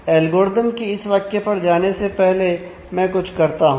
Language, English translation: Hindi, Let me before going through this statement of the algorithm